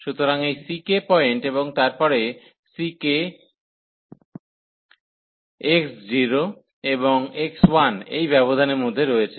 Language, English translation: Bengali, So, this c k point and then so c k is between x 0 and x 1 in this interval